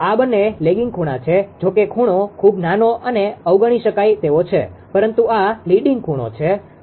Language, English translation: Gujarati, This two are lagging angle; although angle is very small and negligible, but and this one is leading angle